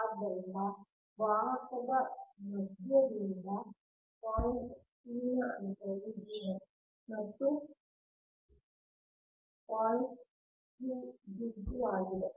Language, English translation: Kannada, so distance of point p from the center of the conductor is d one and point q is d two